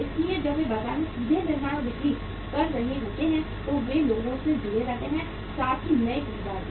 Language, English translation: Hindi, So when they are directly manufacturing and selling in the market they remain connected to the people, existing as well as the new buyers